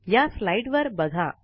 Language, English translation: Marathi, Look at this slide